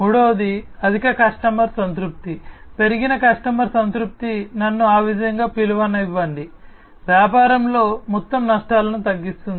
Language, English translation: Telugu, The third one is the higher customer satisfaction, increased customer satisfaction let me call it that way, reducing the overall risks in the business